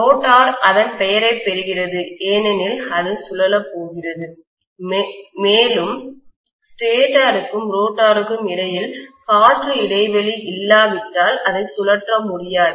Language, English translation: Tamil, Please note that the rotor gets its name because it is going to rotate and it cannot rotate unless there is an air gap between the stator and rotor